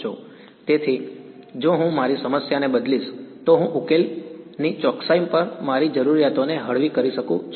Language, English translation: Gujarati, So, I have if I change my problem I can relax my requirements on the accuracy of solution